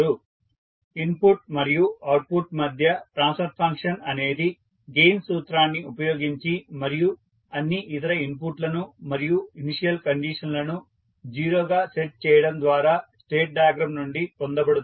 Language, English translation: Telugu, So transfer function between input and output is obtained from the state diagram by using the gain formula and setting all other inputs and initial state to 0